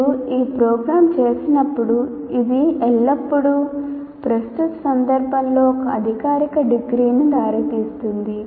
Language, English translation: Telugu, So when you say a program, it always leads to a kind of a formal degree